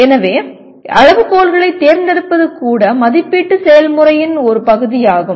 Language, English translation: Tamil, So selection of criteria itself is a part of evaluation process